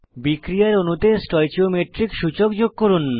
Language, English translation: Bengali, Add stoichiometric coefficients to reaction molecules